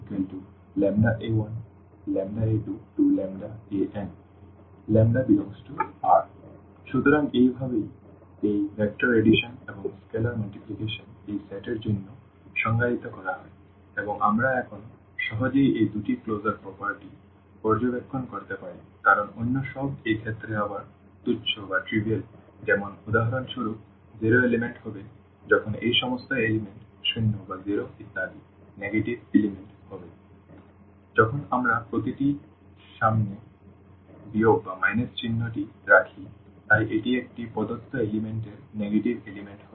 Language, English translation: Bengali, So, this is how these vector addition and the scalar multiplication is defined for this set and what we can easily now observe those two closure properties at least because all others are trivial in this case again like for instance the zero element will be when all these components are zero and so on, the negative elements will be when we put the minus sign in front of each so, that will be the negative element of a given element